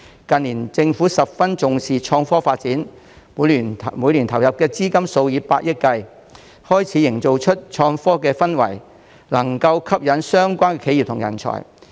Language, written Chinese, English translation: Cantonese, 近年政府十分重視創科發展，每年投入資金數以百億元，開始營造出創科的氛圍，能吸引相關企業及人才。, In recent years the Government has attached great importance to the development of innovation and technology . It has invested tens of billions of dollars each year to create technological innovation atmosphere that can attract relevant enterprises and talents